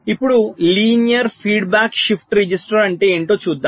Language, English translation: Telugu, ok, now let us see what is the linear feedback shift register